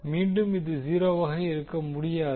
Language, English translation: Tamil, So this cannot be 0, this is again cannot be